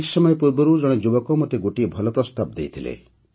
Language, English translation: Odia, Some time ago a young person had offered me a good suggestion